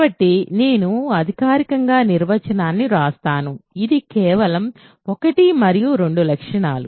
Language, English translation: Telugu, So, I will formally write the definition, it is simply the properties one and two